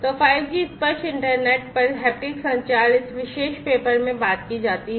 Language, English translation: Hindi, So, haptic communication over pair 5G tactile internet is talked about in this particular paper